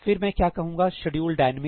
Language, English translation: Hindi, What will I say schedule dynamic